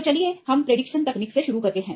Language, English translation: Hindi, So, let us start with the prediction technique